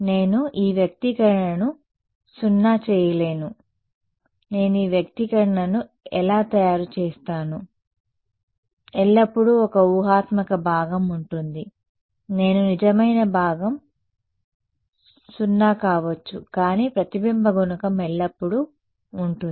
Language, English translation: Telugu, I cannot make this expression 0 how will I make this expression 0 there is always an imaginary part I can be the real part 0, but the reflection coefficient will always be there